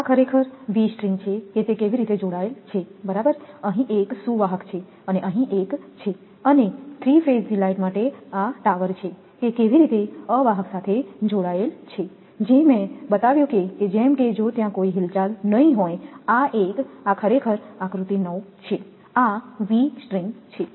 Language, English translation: Gujarati, This is actually V strings that how it is connected right, there is 1 conductor here 1 is here and for 3 phase line this is the tower, that how that insulators are connected whatever I showed that such that if there will be no swing of this 1, this is actually figure 9 this is V stirng